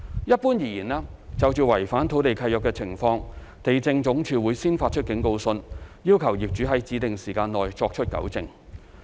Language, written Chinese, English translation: Cantonese, 一般而言，就違反土地契約的情況，地政總署會先發出警告信，要求業主在指定時限內作出糾正。, In general in respect of breach of land lease LandsD will first issue a warning letter requiring the owner concerned to rectify the lease breach within a specified period